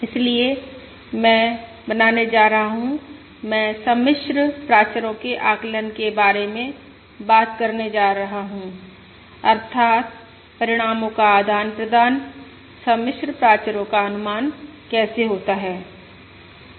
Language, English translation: Hindi, So I am going to make I am going to talk about the estimation of complex parameters, that is, how to exchange the results the estimation of complex parameters